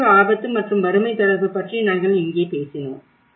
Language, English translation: Tamil, And where we talked about the disaster risk and poverty nexus